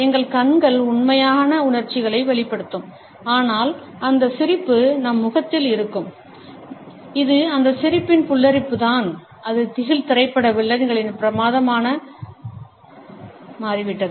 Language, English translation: Tamil, Our eyes would express the true emotions, but the grin would be there on our face and it is this creepiness of this grin, which has become a staple of horror movie villains